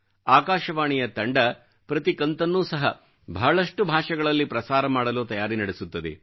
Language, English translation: Kannada, The team from All India Radio prepares each episode for broadcast in a number of regional languages